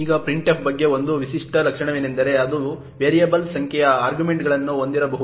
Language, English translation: Kannada, Now one characteristic feature about printf is that it can have variable number of arguments